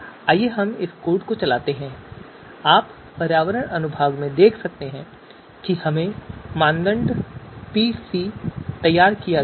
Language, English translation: Hindi, So let us run this code and you can see in the environment section we have generated criteria PC